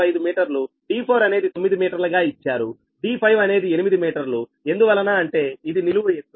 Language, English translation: Telugu, calcul: d four is given nine meter, d five will be eight meter because this is a vertical height